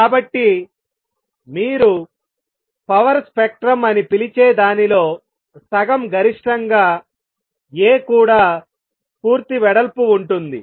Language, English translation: Telugu, So, A is also full width at half maximum of what you known as power spectrum